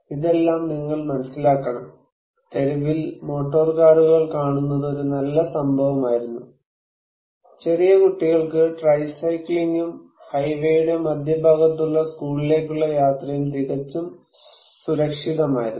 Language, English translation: Malayalam, All this you must realize, was in the good old days when the sight of motor car on the street was an event, and it was quite safe for tiny children to go tricycling and whopping their way to school in the centre of the highway